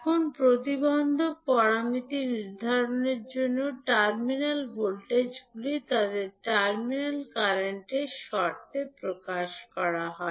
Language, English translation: Bengali, Now, to determine the impedance parameters the terminal voltages are expressed in terms of their terminal current